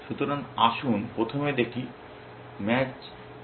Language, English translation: Bengali, So, let us first see what is match is doing